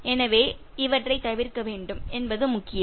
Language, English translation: Tamil, So, it is important that you should avoid these ones